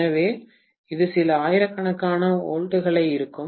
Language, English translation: Tamil, So, this will be some thousands of volts